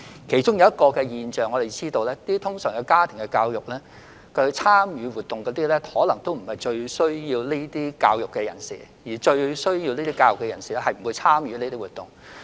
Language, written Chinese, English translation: Cantonese, 我們發現一種現象，就是家庭教育活動的參加者通常並非最需要教育的人士，但最需要教育的人士卻不會參與這些活動。, We found that the participants of family education activities are normally not the ones who need family education most whereas those who are most in need of education will never participate in such activities